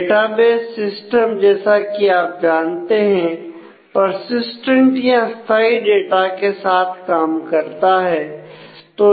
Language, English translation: Hindi, Because, database systems as you know are dealing with persistent data